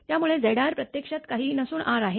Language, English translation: Marathi, So, Z r actually nothing, but R